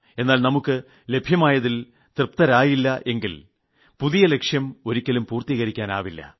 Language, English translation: Malayalam, But if you are not satisfied over what you have got, you will never be able to create something new